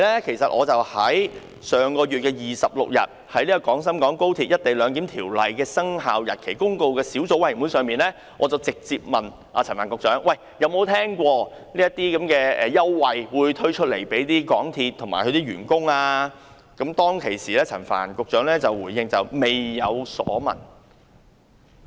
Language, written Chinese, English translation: Cantonese, 其實，上月26日我在《〈廣深港高鐵條例〉公告》小組委員會，已直接詢問陳帆局長曾否聽聞港鐵公司會推出這些員工優惠，當時陳帆局長回應表示未有所聞。, In fact at a meeting of the Subcommittee on Guangzhou - Shenzhen - Hong Kong Express Rail Link Co - location Ordinance Commencement Notice held on 26 of last month I directly asked Secretary Frank CHAN if he was aware of this concession to MTRCL staff . He said he had not heard of it